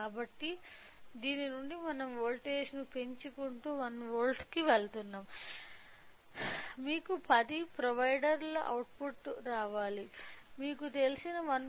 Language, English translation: Telugu, So, from that it is clear that as we are keep on increasing the voltage so, just go with 1 volt we should get an output of 10 provider we cannot go more than you know 1